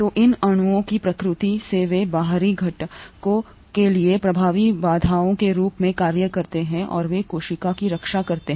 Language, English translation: Hindi, So by the very nature of these molecules they act as effective barriers to outside components and they protect the cell